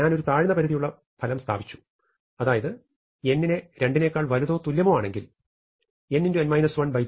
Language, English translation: Malayalam, I have established a lower bound which says that for n bigger than equal to 2 n into n minus 1 by 2 is above one fourth of n square